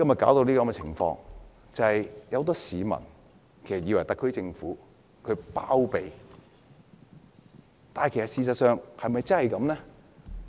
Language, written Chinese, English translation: Cantonese, 就是因為有很多市民以為特區政府在包庇犯法者，但事實是否真的如此？, The reason is that many people think that the SAR Government is sheltering offenders but is this really the case?